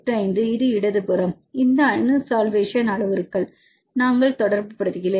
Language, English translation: Tamil, 85, this is the left hand side, we relate with this atomic solvation parameters, how many atoms in alanine